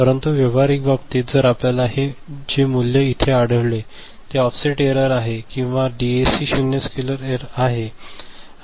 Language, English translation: Marathi, But, practical case if you find that the value is over here the value is over here ok, then there is a offset error or there is a zero scale error for the DAC